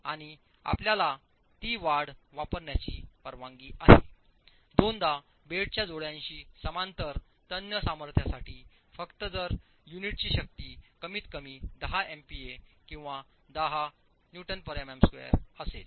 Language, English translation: Marathi, And you are allowed to use that increase twice for the tensile strength parallel to the bed joint only if the unit strength is at least 10 megapascals, 10 Newton per millimeter square